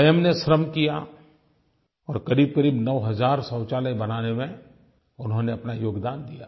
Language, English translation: Hindi, They themselves put in physical labour and contributed significantly in constructing around 9000 toilets